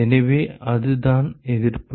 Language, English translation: Tamil, So, that is the resistance